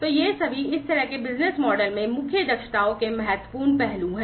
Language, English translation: Hindi, So, all these are important aspects of core competencies in this kind of business model